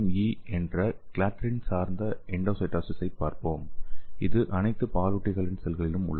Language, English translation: Tamil, So let us see clathrin dependent endocytosis that is CME, so it is present in all mammalian cells